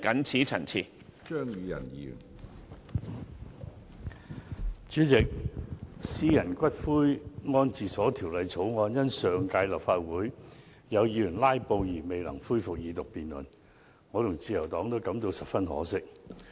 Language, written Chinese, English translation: Cantonese, 主席，《私營骨灰安置所條例草案》因上屆立法會有議員"拉布"而未能恢復二讀辯論，我和自由黨都感到十分可惜。, President the Second Reading debate on the Private Columbaria Bill the Bill was not resumed in the last term of the Legislative Council because of the filibuster staged by some Members; the Liberal Party and I found this regrettable